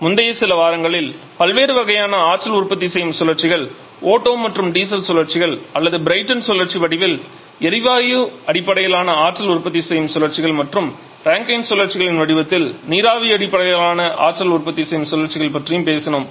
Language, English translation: Tamil, Over previous few weeks we have talked about different kinds of power producing cycles, gas based power producing cycles in the form of Otto and diesel cycles or the Britton cycle and also the paper based producing cycles in the form of the Rankine cycles